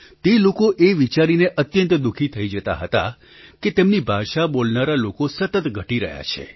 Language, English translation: Gujarati, They are quite saddened by the fact that the number of people who speak this language is rapidly dwindling